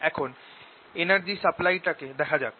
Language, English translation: Bengali, let us now see the energy supply